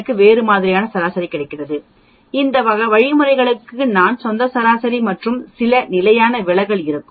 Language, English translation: Tamil, I will have a large set of mean, these means will have its own mean and some standard deviation